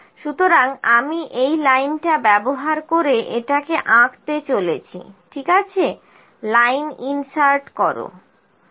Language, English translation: Bengali, So, I am going to plot this using the line, ok, insert line